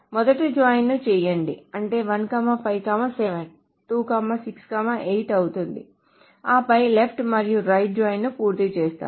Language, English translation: Telugu, So first we complete the join which is 157, 268 and then we complete the left and right join